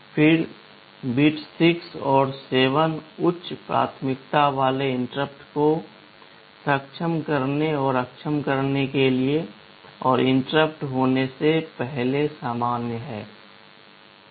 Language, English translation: Hindi, Then bits 6 and 7 are for enabling and disabling the high priority interrupt and the normal prior to interrupt